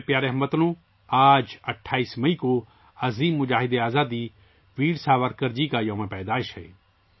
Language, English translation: Urdu, My dear countrymen, today the 28th of May, is the birth anniversary of the great freedom fighter, Veer Savarkar